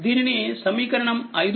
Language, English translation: Telugu, So, this is equation 5